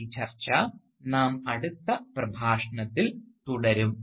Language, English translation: Malayalam, We will continue this discussion in our next lecture